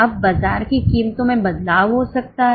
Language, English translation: Hindi, Now, there might be changes in the market prices